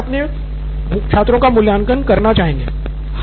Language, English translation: Hindi, Teacher would want to evaluate her or his students